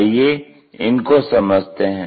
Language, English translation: Hindi, So, let us look at that